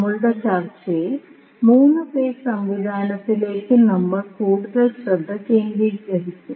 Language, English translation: Malayalam, So, in our particular discussion, we will concentrate more towards the 3 phase system